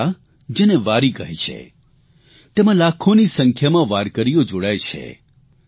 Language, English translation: Gujarati, This yatra journey is known as Wari and lakhs of warkaris join this